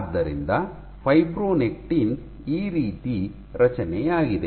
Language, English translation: Kannada, So, this is how fibronectin is